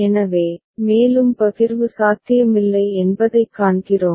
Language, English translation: Tamil, So, we see that no further partitioning is possible